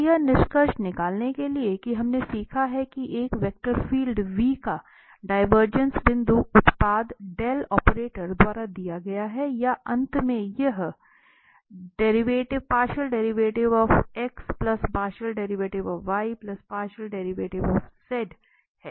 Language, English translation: Hindi, And to conclude that we have learned that the divergence of a vector field v is given by this dot product or finally, this is just the sum of these partial derivatives